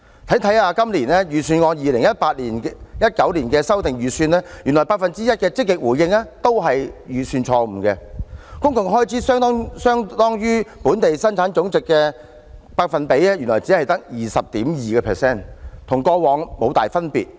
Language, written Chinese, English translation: Cantonese, 翻看今年 2018-2019 年度的修訂預算，原來 1% 的"積極回應"是預算錯誤，公共開支相當於本地生產總值只有 20.2%， 與過往無大分別。, Looking at the revised estimates of 2018 - 2019 I found that the 1 % positive response was a budgetary mistake as the new public expenditure was only 20.2 % of our GDP not much different from the past